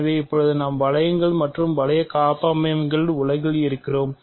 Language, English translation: Tamil, So now, we are in the realm of rings and ring homomorphisms